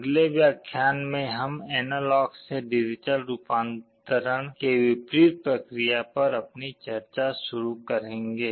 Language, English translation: Hindi, In the next lecture, we shall be starting our discussion on the reverse, analog to digital conversion